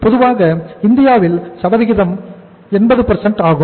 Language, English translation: Tamil, Normally in India the percentage rate is 80%